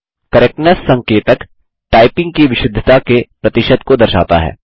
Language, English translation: Hindi, The Correctness indicator displays the percentage correctness of typing